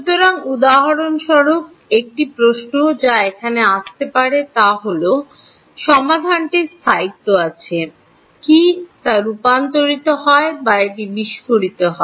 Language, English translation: Bengali, So, for example, a question that can come over here is, does the solution have stability, does it converge or does it explode